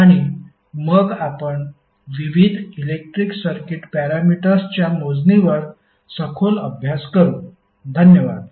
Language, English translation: Marathi, And then we will further build up the relationship for calculation of various electrical circuit parameters, thank you